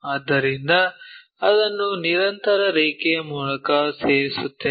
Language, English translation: Kannada, So, we join that by a continuous line